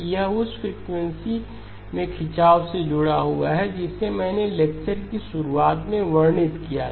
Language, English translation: Hindi, It is linked to the stretching in frequency that I described at the start of the lecture